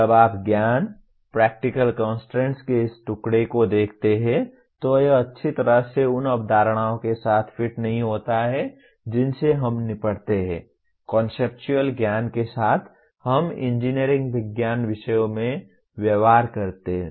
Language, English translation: Hindi, When you look at this piece of knowledge, practical constraint, it does not nicely fit with the kind of concepts that we deal with, conceptual knowledge we deal with in engineering science subjects